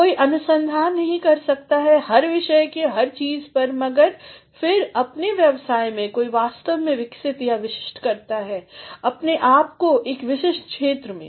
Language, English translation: Hindi, One cannot do research on every topic on everything, but then one in the course of one’s career actually comes across developing or specializing himself or herself in a specific area